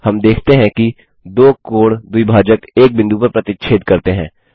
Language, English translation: Hindi, We see that the two angle bisectors intersect at point